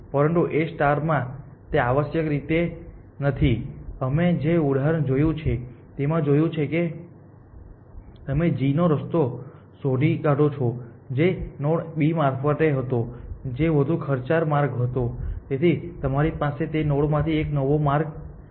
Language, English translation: Gujarati, But in A star that is not the case essentially, like we saw in the example that we saw, if you have found a path to g which was through the node B which was a more expensive path you can find a new path from that node essentially